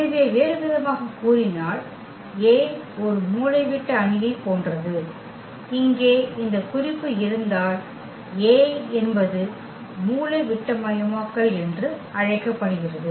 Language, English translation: Tamil, So, in other words if A is similar to a diagonal matrix, because if the point is here A is called diagonalizable